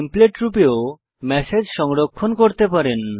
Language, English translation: Bengali, You can also save the message as a template